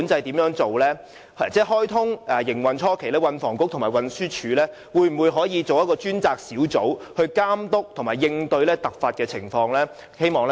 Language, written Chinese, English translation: Cantonese, 高鐵開通營運初期，運輸及房屋局和運輸署可否成立一個專責小組，監督和應對突發情況？, At the initial stage after the commissioning of XRL will the Transport and Housing Bureau and the Transport Department form a task group to monitor and handle emergencies?